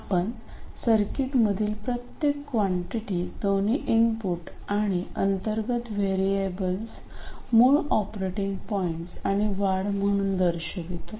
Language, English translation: Marathi, You express every quantity in the circuit both inputs and internal variables as the original operating point cases plus increments